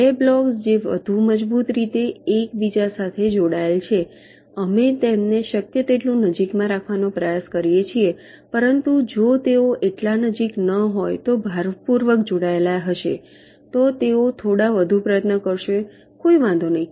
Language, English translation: Gujarati, the two blocks which are more strongly connected together, we try to put them as close together as possible, but if they are not so close strongly connected, they maybe put a little for the effort, no problem